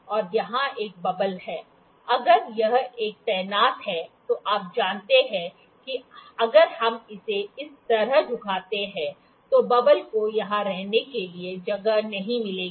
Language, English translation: Hindi, And there is a bubble here, if it is a stationed you know if we tilts like this on this, the bubble wouldn’t find a space to stay here